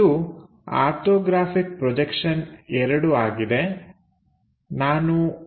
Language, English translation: Kannada, It is on Orthographic Projections II